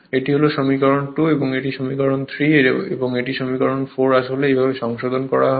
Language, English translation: Bengali, This is your equation 2, this is equation 3 and this is equation 4 actually, this way some correction right